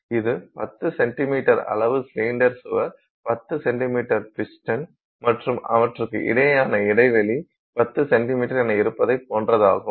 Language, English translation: Tamil, It is the same as having a 10 centimeter cylinder wall, a 10 centimeter piston and the gap between them being 10 centimeters